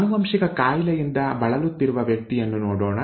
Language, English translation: Kannada, Let us look at a person affected with a genetic disease